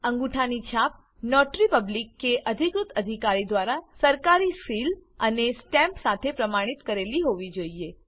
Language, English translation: Gujarati, Thumb impressions should be attested by a Notary Public or an authorized officer with official seal and stamp